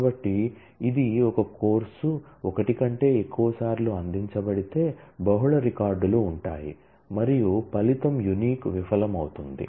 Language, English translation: Telugu, So, if it a course was offered more than once, then naturally multiple records will feature and the result the unique will fail